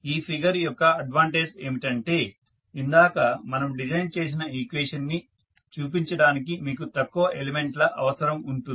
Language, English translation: Telugu, So, the advantage of this particular figure is that you need fewer element to show the equation which we just derived